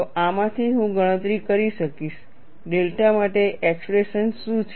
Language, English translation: Gujarati, So, this will help me to get an expression for delta